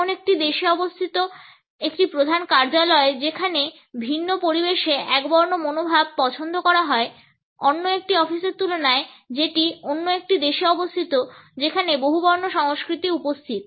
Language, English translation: Bengali, A head office situated in a country where the preferences for monochronic attitudes would work in a different atmosphere in comparison to another office which is situated in a country which is governed by the polychronic attitude